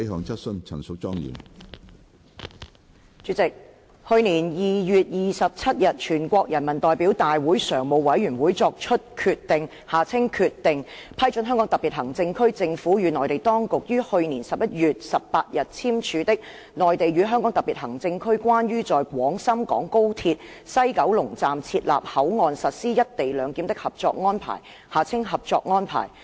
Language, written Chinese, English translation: Cantonese, 主席，去年12月27日，全國人民代表大會常務委員會作出決定，批准香港特別行政區政府與內地當局於去年11月18日簽署的《內地與香港特別行政區關於在廣深港高鐵西九龍站設立口岸實施"一地兩檢"的合作安排》。, President on 27 December last year the Standing Committee of the National Peoples Congress made a decision to approve the Co - operation Arrangement between the Mainland and the Hong Kong Special Administrative Region on the Establishment of the Port at the West Kowloon Station of the Guangzhou - Shenzhen - Hong Kong Express Rail Link for Implementing Co - location Arrangement signed between the Government of the Hong Kong Special Administrative Region and the Mainland authorities on 18 November last year